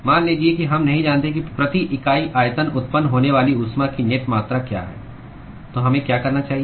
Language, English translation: Hindi, Supposing we do not know what is the net amount of heat that is generated per unit volume, what should we do